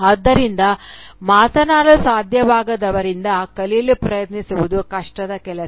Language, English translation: Kannada, So, trying to learn from someone who cannot speak is a difficult task